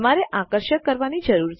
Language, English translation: Gujarati, You need to be attractive